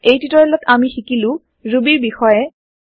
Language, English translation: Assamese, In this tutorial we will learn What is Ruby